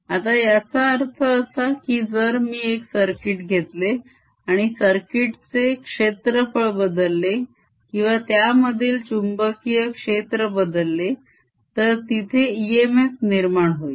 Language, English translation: Marathi, now what is means is that if i take a circuit and let the area of the circuit change or the magnetic field through it change, then there'll be an e m f generated